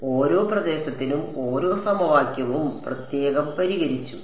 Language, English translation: Malayalam, So, each equation solved separately for each region ok